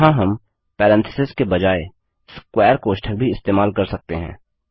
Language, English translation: Hindi, Here we can also use square brackets instead of parentheses